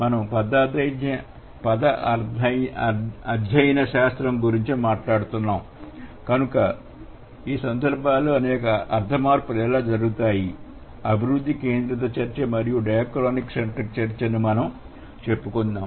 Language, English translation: Telugu, So, since we are talking about semantic typology and how the semantic changes happen in in case of, let's say, development centric discussion and dichronic centric discussion